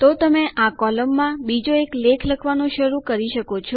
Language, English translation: Gujarati, So you can start writing another article in this column